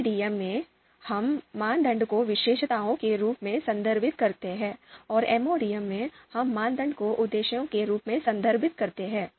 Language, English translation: Hindi, In MADM, we refer criteria as attributes, and in MODM, we refer criteria you know as objectives